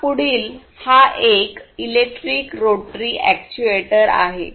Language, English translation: Marathi, Then the next one is electric rotary actuator